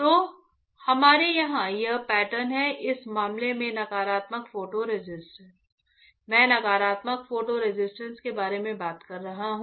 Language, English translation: Hindi, So, we have here this pattern in this case negative photo resist, I am talking about negative photo resist